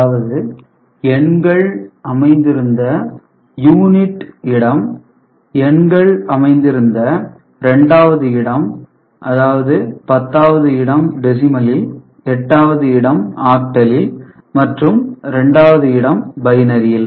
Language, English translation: Tamil, So, the number appearing at units place, and the number appearing at the second place in decimal which is 10’s place in octal that is 8’s place, and in binary it is 2’s place